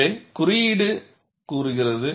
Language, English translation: Tamil, So, the code says, it should be 0